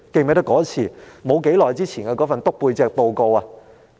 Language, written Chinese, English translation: Cantonese, 還記得不久前那份"篤背脊"報告嗎？, Do you still remember that report which was submitted not long ago for the purpose of backstabbing?